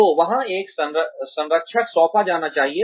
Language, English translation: Hindi, So, there should be some mentor assigned